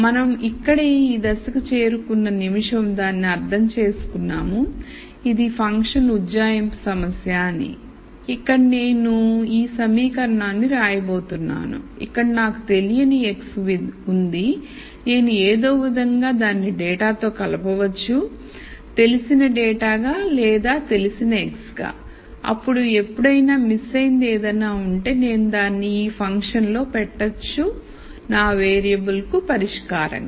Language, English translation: Telugu, The minute we get to this point right here then we understand that this is a function approximation problem where I am going to write this equation where I have x unknown and if somehow I can relate it to the data, known data or x that is known, then whenever I have something missing I could simply put it into this function and as solve for my variable